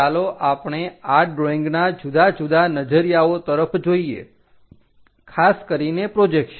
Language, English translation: Gujarati, Let us look at different perspectives of this drawings, especially the projections